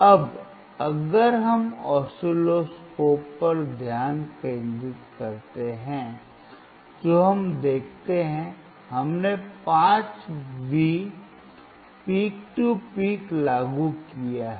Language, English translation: Hindi, Now if we concentrate on the oscilloscope what we see is, we have applied, 5 V peak to peak